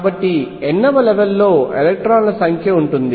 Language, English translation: Telugu, So, the number of electrons in the nth level will be